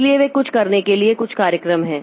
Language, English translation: Hindi, So, there are some programs for doing that